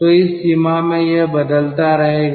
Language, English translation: Hindi, so in that range it will vary